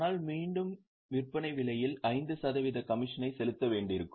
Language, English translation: Tamil, But again we will have to pay commission of 5% on the selling price